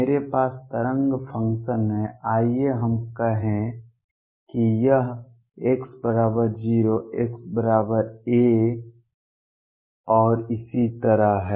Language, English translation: Hindi, I have the wave function let us say this is x equals 0, x equals a and so on